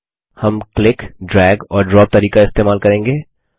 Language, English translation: Hindi, We will use the click, drag and drop method